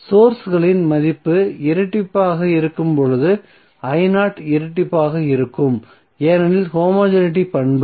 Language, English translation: Tamil, So it means that when sources value is double i0 value will also be double because of homogeneity property